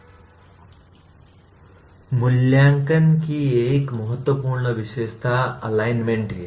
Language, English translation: Hindi, Now, another important feature of assessment is the “alignment”